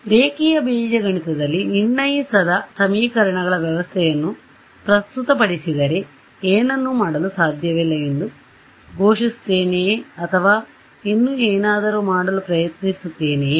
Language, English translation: Kannada, So, what I could do is in linear algebra if I am presented with an underdetermined system of equations, do I just declare that I cannot do anything or do I still try to do something